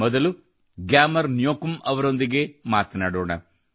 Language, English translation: Kannada, Let us first talk to GyamarNyokum